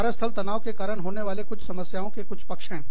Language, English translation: Hindi, Some aspects, or some problems, that workplace stress, can cause us